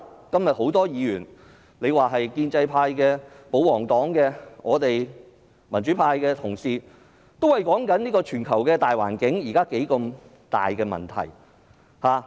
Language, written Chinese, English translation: Cantonese, 今天有多位議員，不論是建制派、保皇黨或我們民主派的同事，也討論現時全球大環境出現的重大問題。, Many Members from the pro - establishment camp the royalist party and our pro - democratic camp have discussed the major issues under the current global conditions today